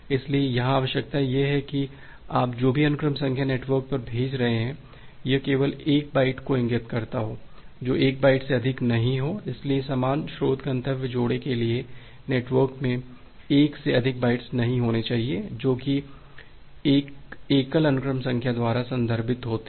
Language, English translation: Hindi, So, the requirement here is that every sequence number that you are sending to the network, it indicates to only a single byte not more than 1 bytes, so there should not be more than 1 bytes in the network for the same source destination pairs which are referenced by a single sequence number